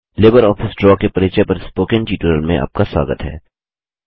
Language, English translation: Hindi, Welcome to the Spoken Tutorial on Introduction to LibreOffice Draw